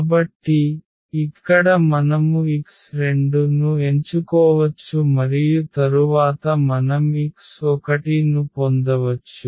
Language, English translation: Telugu, So, here the x 2 we can choose and then we can get the x 1